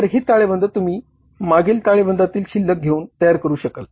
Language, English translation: Marathi, So, this balance sheet you will prepare by taking the balances from the previous balance sheet